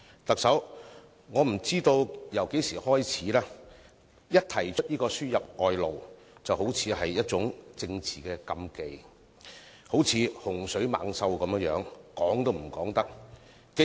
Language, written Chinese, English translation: Cantonese, 特首，不知從何時開始，一提到輸入外勞，便好像觸及政治禁忌；這個議題就如洪水猛獸般，說都不能說。, Chief Executive I do not know since when the mention of labour importation has seemingly become a political taboo . This topic seems to be a huge scourge which should never be touched on